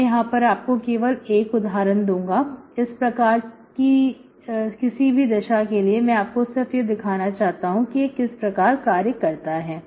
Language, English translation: Hindi, Okay, I will give you only one example here for any one of these cases, just to demonstrate how it works, okay